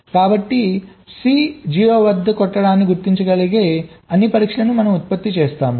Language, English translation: Telugu, so we have generated all possible tests that can detect c struck at zero